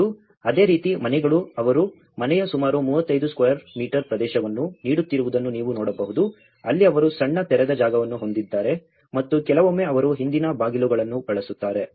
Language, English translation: Kannada, And similarly, you can see that houses they are giving about 35 square meter area of a house, where they have a small open space and sometimes using the previous doors if they have